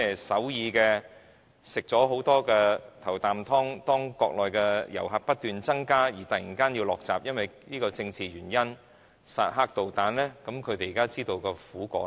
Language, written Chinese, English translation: Cantonese, 首爾曾在中國內地遊客不斷增加時吃到"頭啖湯"，現時卻因為裝置薩德導彈這個政治原因而突然嘗到苦果了。, Seoul had once gained early - bird benefits with the influx of Mainland tourists but owing to political factor concerning the deployment of the THAAD missile system it suddenly has to swallow a bitter pill